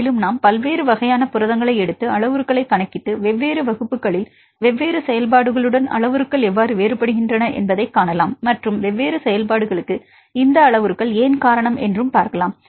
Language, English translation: Tamil, This can be useful for any project and we can take different types of proteins and calculate the parameters and see how the parameters vary in different classes with different functions and see why these parameters are attributed for different functions, then we discussed about the alignment